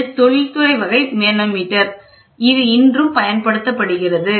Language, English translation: Tamil, This is industrial type this is a manometer which is used even today